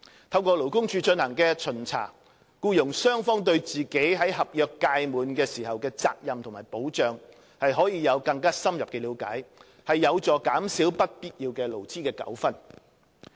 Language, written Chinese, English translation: Cantonese, 透過勞工處進行的巡查，僱傭雙方對自己在合約屆滿時的責任和保障可以有更深入的了解，有助減少不必要的勞資糾紛。, Both employers and employees can gain a deeper understanding of their obligations and protection upon expiry of contracts through the inspections conducted by LD which is helpful to minimizing unnecessary labour disputes